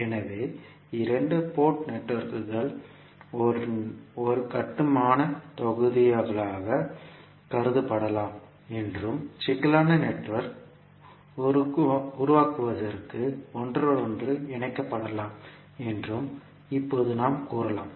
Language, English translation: Tamil, So we can now say that the two port networks can be considered as a building blocks and that can be interconnected to form a complex network